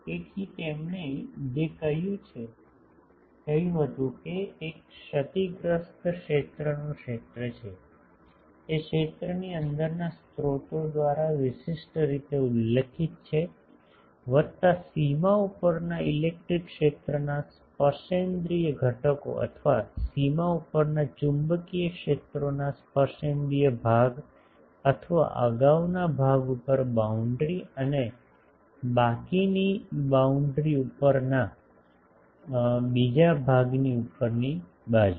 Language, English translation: Gujarati, So, what he said is the field in a lossy region is uniquely specified by the sources within the region, plus the tangential components of the electric field over the boundary or the tangential component of the magnetic fields over the boundary or the former over part of the boundary and the latter over part of the latter over rest of the boundary